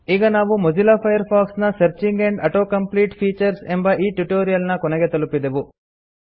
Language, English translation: Kannada, This concludes this tutorial of Mozilla Firefox Searching and Auto complete features